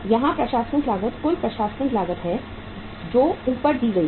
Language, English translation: Hindi, The administrative cost here is uh total administrative cost paid as above